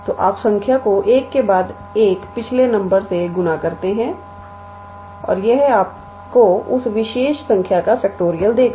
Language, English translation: Hindi, So, you multiply the number and then it is previous number one by one and that will give you the factorial of that particular number